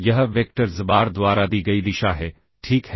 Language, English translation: Hindi, That is the direction given by the vector xbar, ok